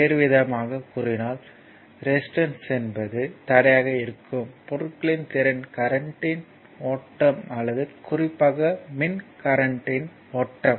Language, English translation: Tamil, In other words, resistance is the capacity of materials to impede the flow of current or more specifically the flow of electric charge